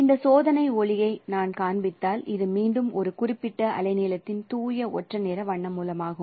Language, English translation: Tamil, And if I display this test light, this is once again a, say, pure monochromatic color source of a particular wavelength